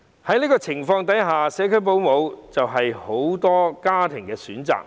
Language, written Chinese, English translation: Cantonese, 在這種情況下，社區保姆就是很多家庭的選擇。, Under the circumstances many families will choose to hire home - based child carers